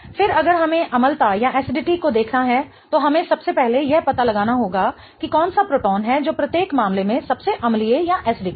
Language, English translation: Hindi, Okay, again if we have to look at the acidity, we first need to figure out which is that proton that is the most acidic in each case